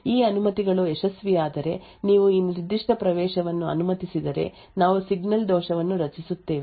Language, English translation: Kannada, If these permissions are successful, then you allow this particular access else we will create a signal fault